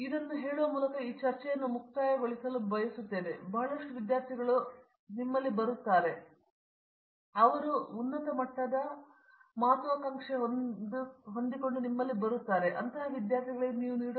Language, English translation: Kannada, So, I would like to conclude this discussion by asking you this, I am sure there are lot of students out there, who are considering, you know advance degrees in chemistry masters degree or a PhD degree